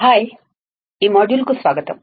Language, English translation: Telugu, Hi, welcome to this module